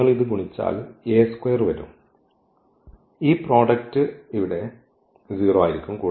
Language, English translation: Malayalam, So, if you multiply this a square will come and then this product will be 0 here